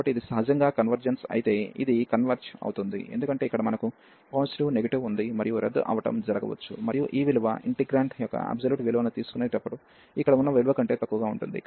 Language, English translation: Telugu, So, if this converges naturally this converges, because here we have positive negative and many this cancelation will come and this value will be less than the value here with while taking the absolute value of the integrant